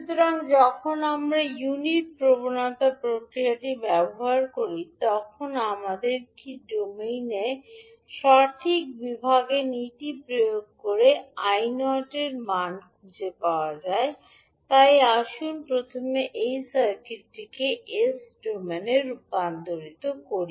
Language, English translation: Bengali, So when we use the unit impulse response what we have to do we apply the correct division principle in s domain and find the value of I naught so let us first convert this circuit into s domain